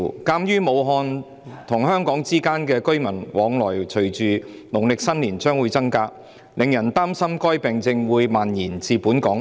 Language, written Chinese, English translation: Cantonese, 鑒於武漢和香港之間的居民往來會隨着農曆新年將至而增加，令人擔心該病症會蔓延至本港。, As the flow of residents between Wuhan and Hong Kong will increase with the approach of the Lunar New Year there are worries that the disease will spread to Hong Kong